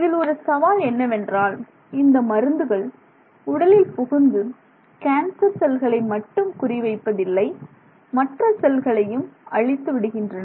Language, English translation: Tamil, Now, the issue that often happens in this case is that the drugs that go into the body actually don't target only the cancer cells, they end up also damaging lot of other cells